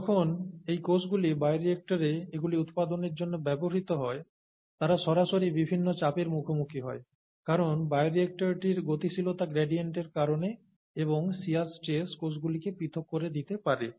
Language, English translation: Bengali, And when you, when these cells are used in the bioreactor for production of these, they have, they are directly exposed to the various stresses because of the velocity gradients in the bioreactor and those shear stresses can break the cells apart